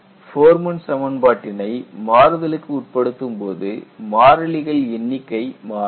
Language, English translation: Tamil, See, when you go to Forman equation, when you go to modification of this, the number of constants also may differ